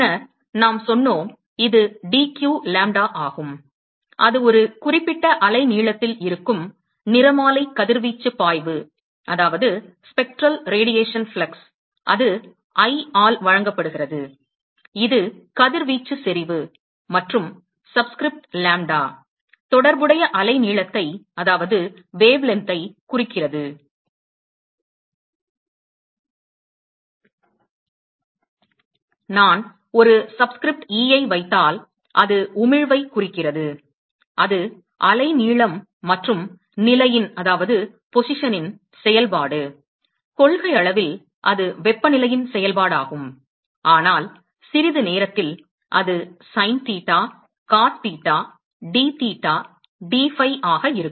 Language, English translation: Tamil, And then we said that, the spectral radiation flux, which is dq lambda, that is the spectral radiation flux at a certain wavelength, and that is given by I, which is the radiation intensity, and the subscript lambda stands for the corresponding wavelength, and if I put a subscript e, it stands for emission, and that is the function of wavelength and position, in principle it is a function of temperature, but we will see that in a short while, that will be sin theta, cos theta, dtheta, dphi